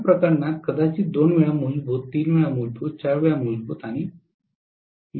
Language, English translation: Marathi, In this case then maybe 2 times the fundamental, 3 times the fundamental, 4 times the fundamental and so on